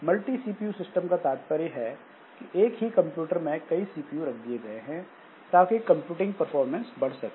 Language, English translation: Hindi, So, multiple the multi CPU systems, so they means that multiple CPUs are placed in the computer to provide more computing performance